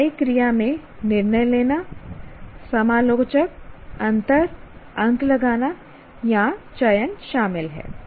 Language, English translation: Hindi, Action verbs include judge, critic, differentiate, mark or select